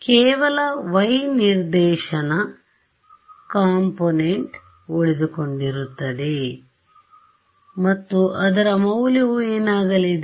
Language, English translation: Kannada, Right so, only the y hat direction, y hat component is going to survive and its value is going to be